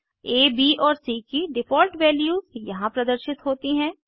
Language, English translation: Hindi, The default values of A, B and C are displayed here